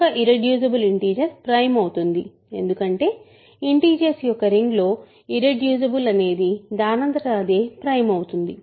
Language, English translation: Telugu, An irreducible integer is prime because in the ring of integers irreducible automatically implies prime